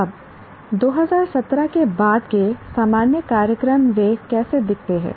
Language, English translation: Hindi, Now, general programs after 2017, how do they look